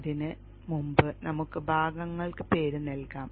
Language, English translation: Malayalam, Before that let us name the parts